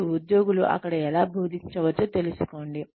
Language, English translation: Telugu, And, find out, how the employees can teach there